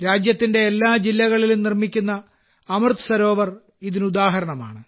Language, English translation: Malayalam, An example of this is the 'AmritSarovar' being built in every district of the country